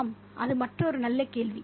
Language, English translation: Tamil, Yeah, that's another very good question